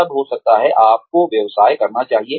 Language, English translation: Hindi, Then, maybe, you should go and own a business